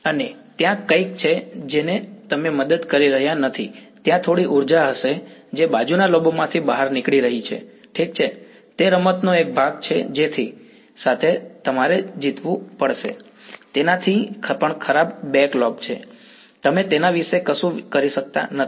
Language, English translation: Gujarati, And there is something which you cannot help, there will be some energy that is getting leaked out into the side lobes ok, that is part of the game you have to live with it and even worse is the back lobe, you cannot do much about it this is what happens in realistic antennas